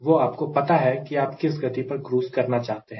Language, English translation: Hindi, you know at what speed i want the cruise